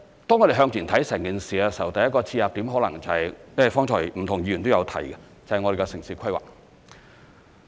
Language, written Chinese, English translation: Cantonese, 當我們向前看整件事時，第一個切入點可能就是——因為剛才不同議員都有提及——就是我們的城市規劃。, When we look at the future development in a holistic manner the first entry point may possibly be―as various Members have talked about just now―our town planning